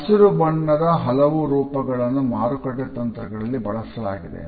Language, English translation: Kannada, Different shades of green are also used in marketing strategy